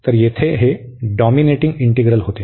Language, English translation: Marathi, So, here this was a dominating integral